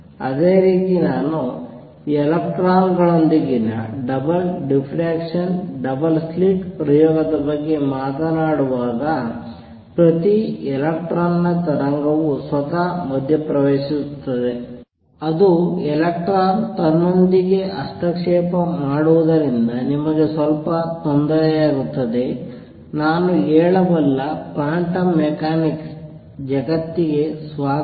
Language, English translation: Kannada, Similarly when I talk about double diffraction double slit experiment with electrons each electrons wave interferes with itself, it is as if electron interfering with itself that makes you little uneasy, only thing I can say is welcome to the world of quantum mechanics this is how things work out